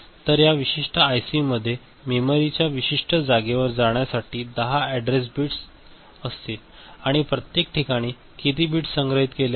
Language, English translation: Marathi, So, this particular IC will be having 10 you know address bits to point to a particular location of the memory and in that how many, in each location how many bits are stored